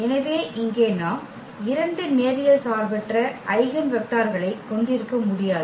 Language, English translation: Tamil, So, here we cannot have two linearly independent eigenvector